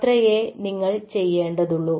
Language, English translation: Malayalam, thats all you needed to do